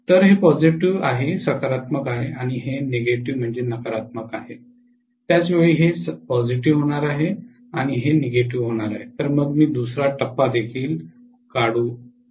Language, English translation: Marathi, So, this is being positive and this is being negative at the same time this is going to be positive and this is going to be negative, so let me draw the second phase also